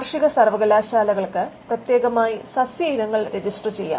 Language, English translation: Malayalam, Plant varieties could be registered specially by agricultural universities